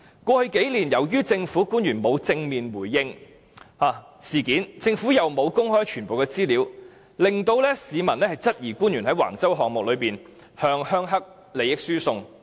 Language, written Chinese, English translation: Cantonese, 過去數年，由於政府官員沒有正面回應事件，政府又沒有公開全部資料，令市民質疑官員在橫洲項目中向"鄉黑"利益輸送。, Over the past several years as government officials have not squarely addressed the issue and the Government has not disclosed all the information there are doubts about the Government transferring benefits to the rural - triad groups in the Wang Chau project